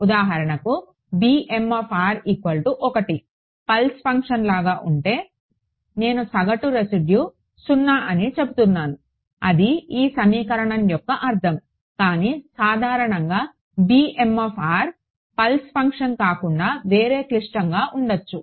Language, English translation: Telugu, For example, if b m of r was 1 like a pulse function, then I am I saying the average residual is 0 that would be the meaning of this equation right, but in general b m of r need not me just a pulse function can be something more complicated